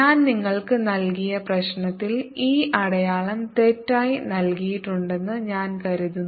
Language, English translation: Malayalam, i think in the problem that i gave you i had in the assignment this sign is given incorrectly, so correct that now